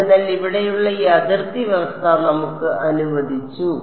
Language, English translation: Malayalam, So, this boundary condition over here was let us